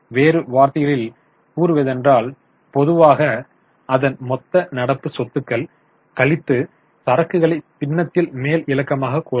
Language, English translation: Tamil, In other words, normally we can say it's total current assets minus inventories in the numerator